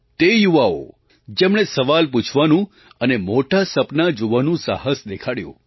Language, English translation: Gujarati, Those youth who have dared to ask questions and have had the courage to dream big